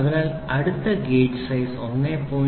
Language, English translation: Malayalam, So, you say minus 1